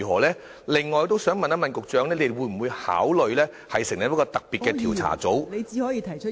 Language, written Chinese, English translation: Cantonese, 此外，我想問局長會否考慮成立一個特別調查組......, Moreover I would like to ask the Secretary whether he will consider setting up a special investigation team